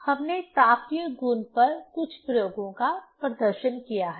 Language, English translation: Hindi, We have demonstrated few experiments on thermal properties